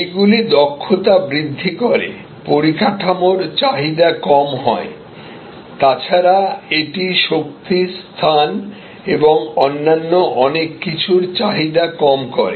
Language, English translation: Bengali, Increases efficiency, decreases demand on infrastructure, in a way also decreases demand on for energy, space and so on